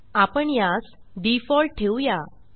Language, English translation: Marathi, I will keep it as Default and click on Apply